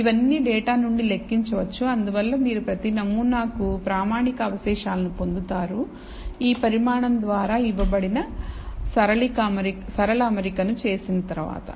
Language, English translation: Telugu, All of this can be computed from the data, and therefore, you get for each sample a standardized residual after performing the linear fit which is given by this quantity